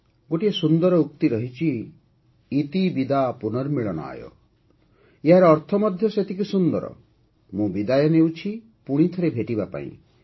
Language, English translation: Odia, There is a very lovely saying – ‘Iti Vida Punarmilanaaya’, its connotation too, is equally lovely, I take leave of you, to meet again